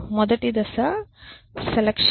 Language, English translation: Telugu, step which is selection